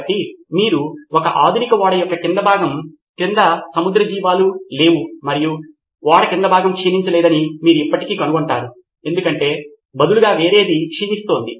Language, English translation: Telugu, So you would not find marine life under the hull of a modern ship and you would still find that the bottom hull is not corroding because something else is corroding instead